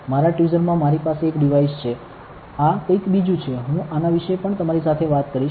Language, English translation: Gujarati, I have one device in my tweezer, this is something else I will talk to you about this also